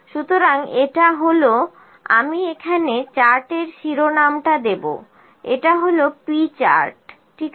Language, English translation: Bengali, So, this is I will put the chart title here this is P chart, ok